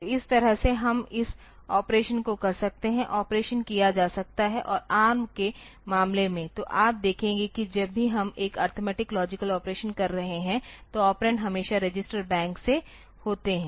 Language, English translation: Hindi, So, this way we can do this operation ok, the operation can be carried out and in case of ARM, so, you will see that whenever we are doing an arithmetic logic operation so, the operands are always from the register bank